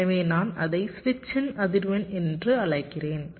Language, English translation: Tamil, so i am calling it as the frequency of switch